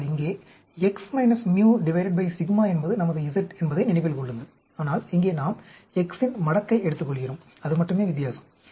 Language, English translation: Tamil, But here remember x minus mu by sigma is our z, but here we take the logarithm of x; that is the only difference